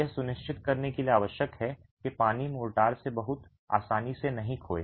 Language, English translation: Hindi, This is essential to ensure that water is not lost by the mortar very easily